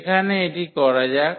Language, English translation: Bengali, So, let us do it here